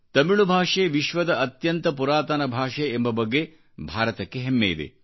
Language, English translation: Kannada, India takes great pride in the fact that Tamil is the most ancient of world languages